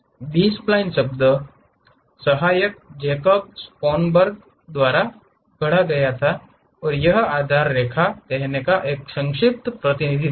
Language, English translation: Hindi, The term B spline was coined by Isaac Jacob Schoenberg and it is a short representation of saying basis spline